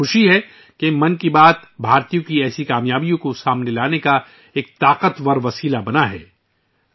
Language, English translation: Urdu, I am glad that 'Mann Ki Baat' has become a powerful medium to highlight such achievements of Indians